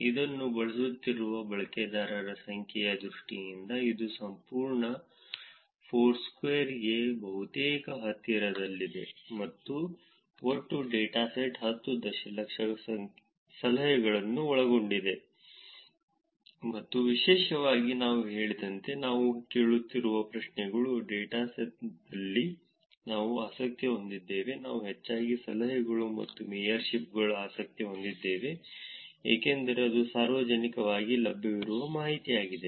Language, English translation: Kannada, It is almost close to the entire Foursquare in terms of the number users that are using it, and the total dataset contains 10 million tips and what we are interested in the data particularly the questions that we are asking as I said, we are interested in mostly the tips, dones and mayorships, because that is the information that is publicly available